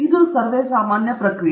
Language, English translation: Kannada, So, that is the general process